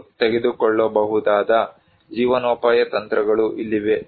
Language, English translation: Kannada, Here are the livelihood strategies people can take